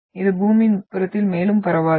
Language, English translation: Tamil, It is not transmitted further into the interior of Earth